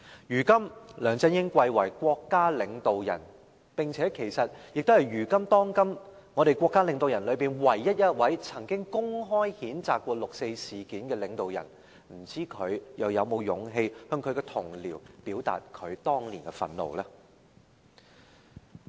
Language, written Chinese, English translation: Cantonese, 如今，梁振英貴為國家領導人，並且是當今的國家領導人之中，唯一一位曾經公開譴責六四事件的領導人，不知道他又是否有勇氣向他的同僚表達他當年的憤怒呢？, Nowadays LEUNG Chun - ying is a State leader and among the current leaders he is the only one who had condemned the 4 June incident in public . I wonder if he has the courage to express his anger at that time to his colleagues